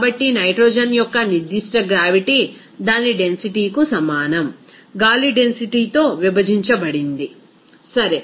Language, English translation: Telugu, So, specific gravity of nitrogen is equal to its density divided by the density of air okay